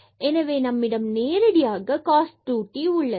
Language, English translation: Tamil, So, we have cos square t